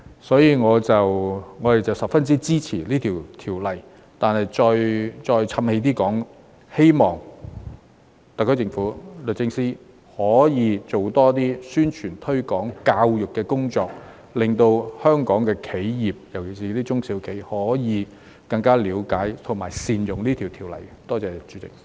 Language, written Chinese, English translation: Cantonese, 所以，我們十分支持《條例草案》，但再"譖氣"地說一句，希望特區政府和律政司可以做多一些宣傳、推廣和教育的工作，令香港的企業，特別是中小企可以更加了解和善用這項條例草案。, For this reason we strongly support the Bill but I still have to reiterate that I hope the SAR Government and the Department of Justice will make more publicity promotion and education efforts so that Hong Kong enterprises especially SMEs can better understand and make good use of this Bill